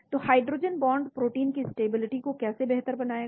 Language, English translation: Hindi, So how does hydrogen bonds will improve the stability of protein